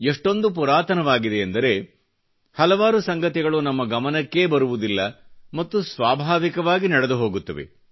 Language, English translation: Kannada, It is so ancient… that so many things just slip our mind…and that's quite natural